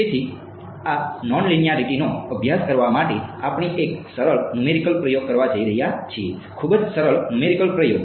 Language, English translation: Gujarati, So, to study this nonlinearity we are going to do a simple numerical experiment ok, very simple numerical experiment